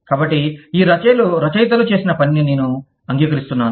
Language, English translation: Telugu, So, i am acknowledging the work, that these authors have done